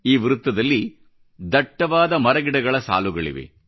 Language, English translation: Kannada, This circle houses a row of dense trees